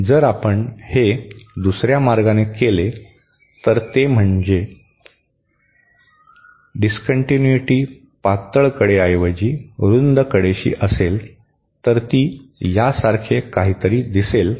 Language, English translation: Marathi, If we do it in the other way, that is if the discontinuity is a longer broader edge, rather than the thinner edge, then it will look something like this